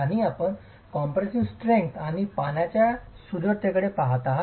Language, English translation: Marathi, And you're looking at the compressive strength and the water retentivity